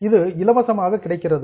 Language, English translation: Tamil, It is freely available